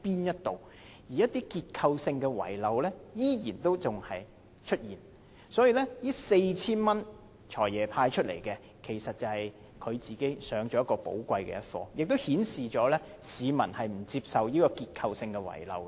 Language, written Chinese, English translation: Cantonese, 因此，市民對"財爺"宣布向合資格人士派發每人 4,000 元的反應，其實倒是讓他自己上了寶貴的一課，亦顯示市民不接受這個結構性遺漏。, Therefore peoples reactions to the Financial Secretarys announcement of the cash handout of 4,000 to each eligible person are indeed a valuable lesson for himself also indicating that people refuse to accept such a structural omission